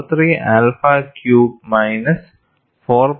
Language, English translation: Malayalam, 43 alpha cubed minus 4